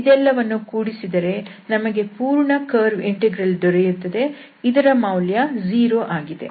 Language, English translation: Kannada, So, if we add all 3 to get the complete this curve integral, the value is coming as 0